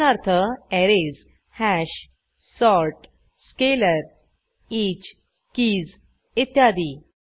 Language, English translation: Marathi, For eg Arrays, Hash, sort, scalar, each, keys etc